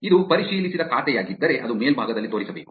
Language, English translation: Kannada, If it is a verified account, it should show up on top